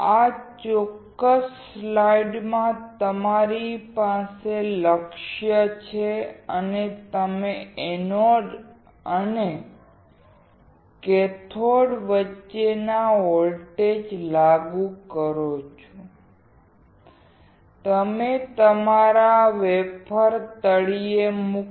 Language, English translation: Gujarati, In this particular slide, you have the target, and you apply the voltage between the anode and cathode; you put your wafer in the bottom